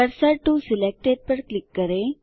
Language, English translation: Hindi, Click Cursor to Selected